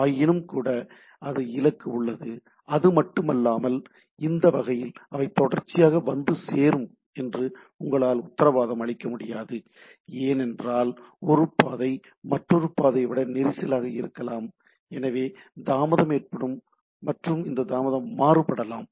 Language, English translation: Tamil, Nevertheless, there is the destination and not only that, once this type of situation come you cannot guarantee that they will may reach sequentially, because the one say path one or the route one may be more congested then the path 2 so, the delay will be varying and so on so forth